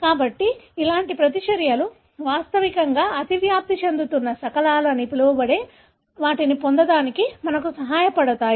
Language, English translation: Telugu, So, such reactions really help us to get what is called as overlapping fragments